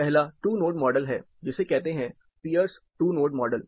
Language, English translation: Hindi, First is the two node model, the Pierce is two node model